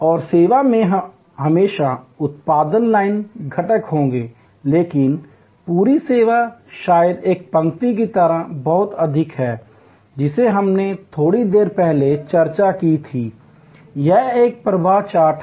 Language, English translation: Hindi, And there will be always production line components in the service, but the whole service maybe very much like a line that we discussed a little while back, it is a flow chart